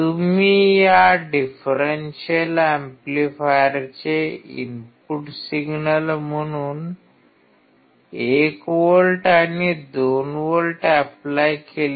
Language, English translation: Marathi, You applied 1 volt and 2 volts as the input signal of this differential amplifier